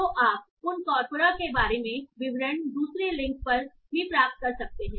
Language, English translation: Hindi, So you can get details about those corpora also on the second link